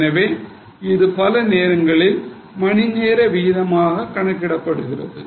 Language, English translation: Tamil, So, many times a rate per hour is calculated